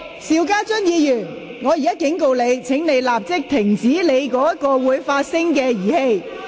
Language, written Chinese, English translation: Cantonese, 邵家臻議員，我警告你，請立即關掉手上的發聲裝置。, Mr SHIU Ka - chun here is my warning to you . Please turn off the sound device in your hand immediately